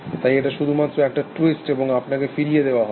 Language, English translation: Bengali, So, it just twist that, and send it back to you